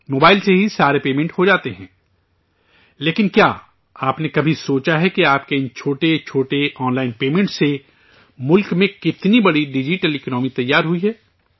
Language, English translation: Urdu, All payments are made from mobile itself, but, have you ever thought that how big a digital economy has been created in the country due to these small online payments of yours